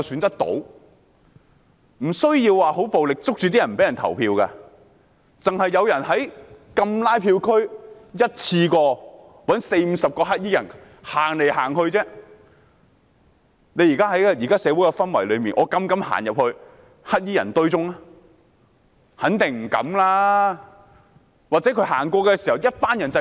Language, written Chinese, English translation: Cantonese, 不需要十分暴力地抓着別人不讓投票，只需要有人在禁拉票區一次過找四五十名黑衣人走來走去，在現時的社會氛圍下，有沒有人膽敢走進黑衣人群裏？, To stop someone from voting it is unnecessary to very violently grab them . As long as someone has arranged in one go forty to fifty black - clad people to walk around in the no canvassing zone dare anyone walk into the black - clad crowd amid the current social atmosphere?